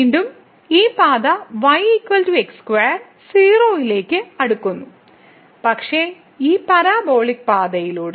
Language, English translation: Malayalam, Again, this path is equal to square is also approaching to 0, but with this parabolic path